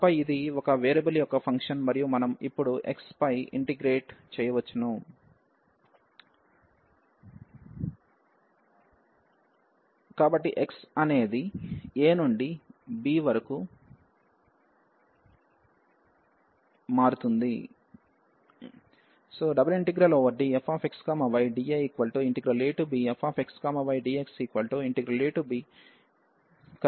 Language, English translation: Telugu, And then this is a function of one variable and we can now integrate over the x, so the x will vary from a to b